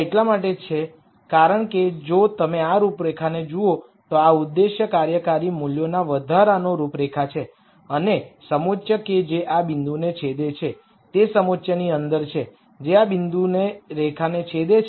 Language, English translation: Gujarati, This is because if you look at these contours these are contours of increasing objective function values and the contour that intersects this point is within the contour that intersects the line at this point